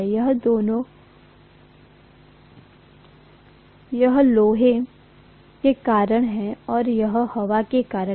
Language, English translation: Hindi, So this is due to iron and this is due to air, right